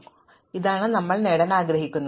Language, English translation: Malayalam, So, this is what we want to achieve